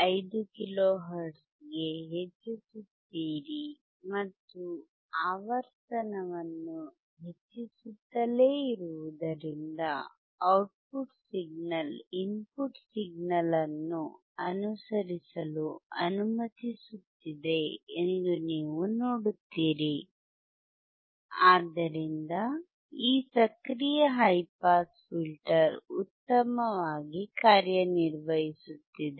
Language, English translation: Kannada, 5 kilo hertz, and you will see that keep keeping increasing the frequency will also allow the output signal to follow the input signal, and thus, this active high pass filter is working well